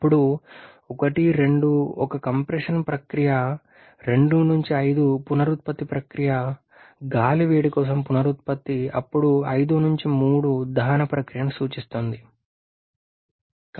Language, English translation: Telugu, Then 1 to 2 is a compression process 2 to 5 is the regeneration process, regeneration for air heating then 5 to 3 refers to the combustion process